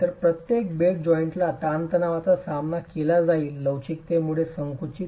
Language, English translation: Marathi, So, each bed joint is going to be subjected to tension, compression induced by flexure